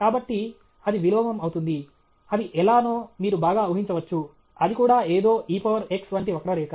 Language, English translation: Telugu, So, that will be the inverse; you can very well imagine how that is; that is also e to the power of something curve okay